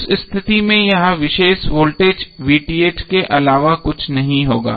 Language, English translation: Hindi, So in that case this particular voltage would be nothing but VTh